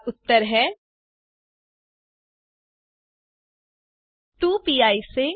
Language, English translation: Hindi, Now, the answers, 1